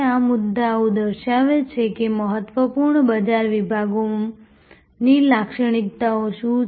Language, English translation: Gujarati, These points that, what are the characteristics of important market segments